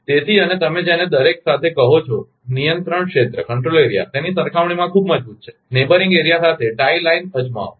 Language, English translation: Gujarati, And you are what you call with each control area are very strong as compared to, try the tie lines with the neighboring area